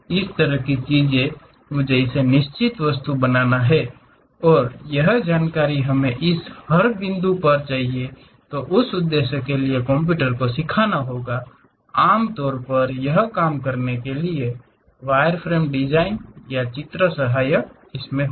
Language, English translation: Hindi, This kind of things, I have to make it on certain object; and, those information we have to teach it to the computer at every each and every point and for that purpose, usually this wireframe designs or drawings will be helpful